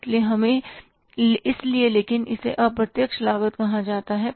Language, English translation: Hindi, These costs are called as the indirect cost